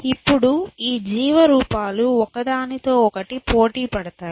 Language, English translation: Telugu, Now, these life forms compete with each other